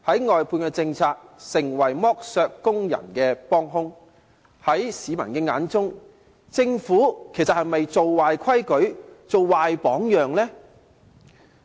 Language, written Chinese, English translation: Cantonese, 外判政策成為剝削工人的幫兇，在市民的眼中，其實政府是否建立了壞規矩、樹立了壞榜樣呢？, The outsourcing policy has become an accomplice in exploiting the workers . In fact in the eyes of members of the public has the Government established a bad rule and set a bad example?